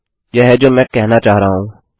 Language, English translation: Hindi, This is what I mean